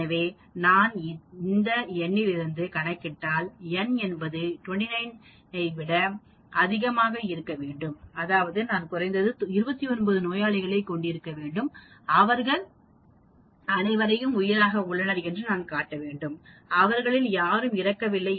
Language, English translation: Tamil, So, if I calculate this from this n I get n should be greater than 29, that means, I should have at least 29 patients and show on all of them none of them die